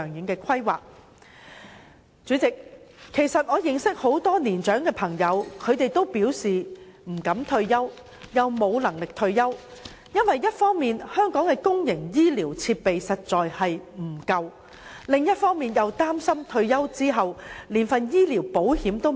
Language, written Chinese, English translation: Cantonese, 代理主席，我認識很多年長的朋友，他們都表示不敢退休，亦無能力退休，因為一方面香港的公營醫療設施確實不足，另一方面又擔心退休後連醫療保險也沒有。, Deputy President many of my elderly friends have raised to me that they do not dare and are unable to retire because on the one hand the public health care facilities in Hong Kong are indeed inadequate while on the other hand they are worry about the loss of medical insurance coverage after retirement